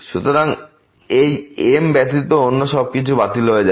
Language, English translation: Bengali, So, everything other than this will cancel out